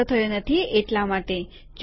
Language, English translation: Gujarati, This is not saved, that is why